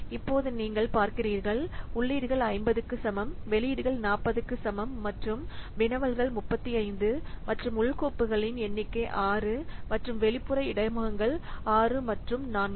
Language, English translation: Tamil, You can see that the inputs is equal to 50, outputs is equal to 40 and queries is 35 and internal files you can see that number of internal files is 6 and 4 is the external interfaces that